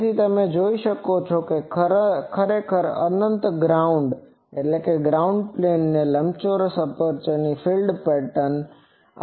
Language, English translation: Gujarati, So, you can see that this is actually the field pattern of an rectangular aperture mounted on an infinite ground plane